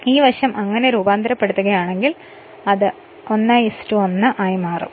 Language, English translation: Malayalam, So, this side if you transform it, it will become 1 is to 1, it will become I2 dash is equal to I2 upon a